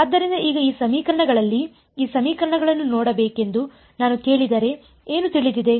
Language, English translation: Kannada, So, now, in these in these equations what is known if I ask you looking at these equations what all is known